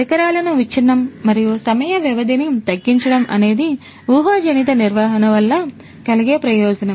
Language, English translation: Telugu, Reducing the equipment down breakdown and downtime is what is going to be the benefit out of predictive maintenance